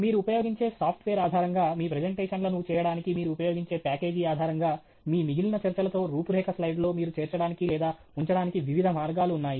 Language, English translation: Telugu, And based on the software you use, based on the package you use for making your presentations, there are different ways in which you can incorporate or put in your outline slide with the rest of your talk